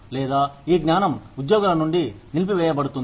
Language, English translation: Telugu, Or, will this knowledge, be withheld from employees